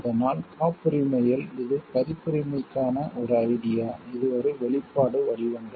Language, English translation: Tamil, So, in patent; it is an idea for in copyright, it is an expression forms